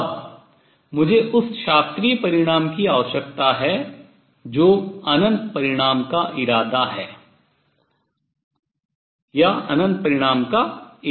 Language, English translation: Hindi, Now I need to that is the classical result or intend to infinite result